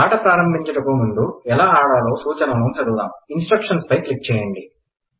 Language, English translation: Telugu, Before starting the game, let us read the instructions on how to play it.Click Instructions